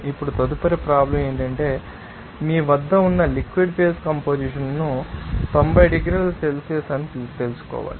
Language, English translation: Telugu, Now, next problem is that you have to find out the liquid phase composition at you know that 90 degree Celsius